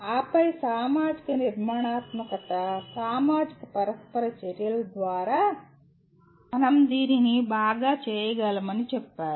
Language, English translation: Telugu, And then social constructivism says that, we can do that through social interactions much better